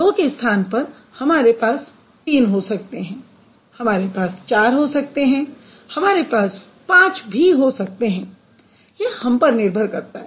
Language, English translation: Hindi, So, instead of two, we can have it three, we can have it four, we can have it five